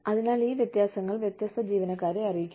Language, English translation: Malayalam, So, these differences have to be communicated, to the different employees